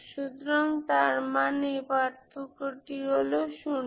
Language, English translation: Bengali, So that means the difference is 0